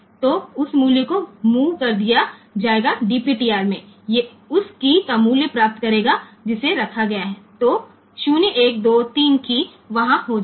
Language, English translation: Hindi, So, that value will be move to so, DPTR will get the value of the key that is placed; so 0 1 2 3 so though those keys will be there